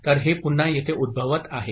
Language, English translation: Marathi, So, this is again occurring over here